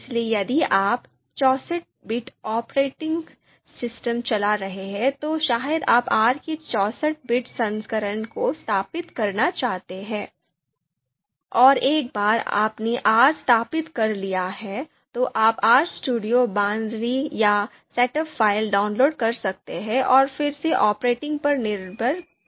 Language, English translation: Hindi, So if you are running a sixty four bit operating system, then probably you would like to install the sixty four version of R, sixty four bit version of R, and once you have installed R, then you can download the RStudio binary or setup file and depending on the operating system again if it is sixty four bit, then you download the same and install it